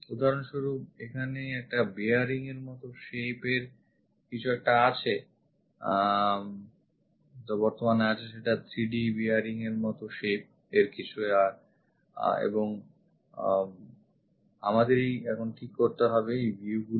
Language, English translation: Bengali, For example, here there is a bearing like shape is present the 3D bearing kind of shape is present and we have to decide what are the views